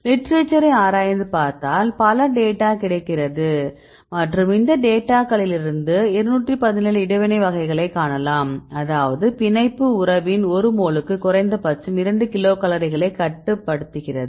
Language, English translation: Tamil, So, then we scan the literature many data available in the literature and from these data we can find about 217 types of interactions right; that means, they can reduce the binding affinity at least 2 kilocal per mole